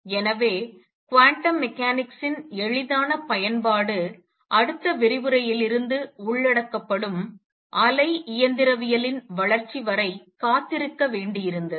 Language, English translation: Tamil, And therefore, the easy application of quantum mechanics had to wait the development of wave mechanics that will be covered in the next lecture onwards